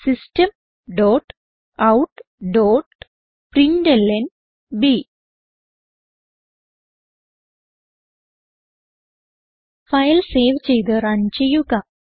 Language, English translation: Malayalam, System dot out dot println Save the file and run it